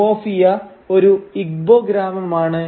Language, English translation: Malayalam, Umuofia is an Igbo village